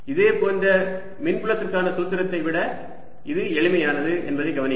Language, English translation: Tamil, notice that this is simpler than the corresponding formula for the electric field, where we had a vector